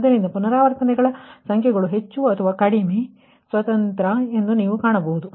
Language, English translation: Kannada, so you will find number of iterations more or less are independent, right